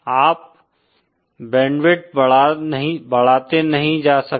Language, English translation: Hindi, You cannot go on increasing the band width